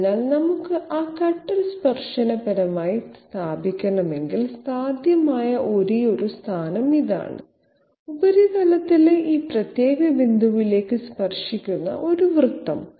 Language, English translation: Malayalam, So if we have to position that cutter tangentially, this is the only possible position; a circle tangent touching to this particular point on the surface